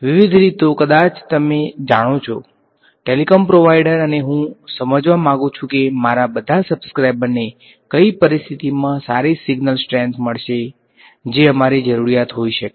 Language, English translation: Gujarati, Various things maybe you know telecom provider and I want to understand under what conditions will all my subscribers get good signal strength that can be our requirement right